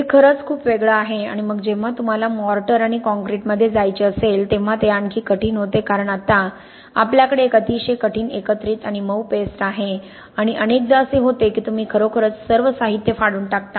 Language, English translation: Marathi, It is really very different and then when you want to go to Mortars and concretes becomes even more difficult because now, we have a very hard aggregate here and the softer paste and the what often happens is you really rip out all the material here